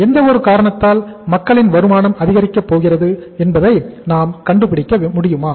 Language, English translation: Tamil, We should be able to find out that is there any possibility that the income of the people is going to increase because of any reason